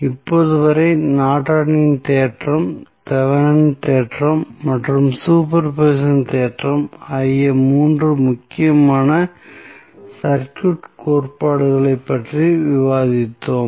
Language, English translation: Tamil, So, till now, we have discussed 3 important circuit theorems those were Norton's theorem, Thevenin's theorem and superposition theorem